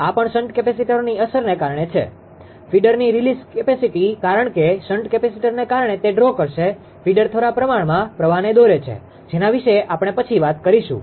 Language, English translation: Gujarati, This is also because of the shunt capacitors effect; release capacity of feeder because it will draw that because of shunt capacitor that feeder will draw less amount of current we will come to that also